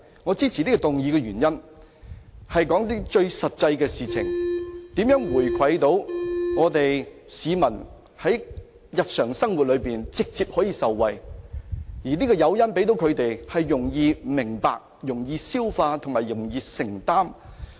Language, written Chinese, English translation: Cantonese, 我支持這項議案的原因，是要提出一些最實際的建議，指出如何回饋市民，讓他們在日常生活中可直接受惠，而向他們提供的誘因，是他們容易明白、容易消化和容易承擔的。, I support this motion because I wish to put forward some practicable suggestions on how to return wealth to the people so as to benefit them direct in their daily living and the incentives offered to them should be easily understood readily absorbed and effortlessly afforded by them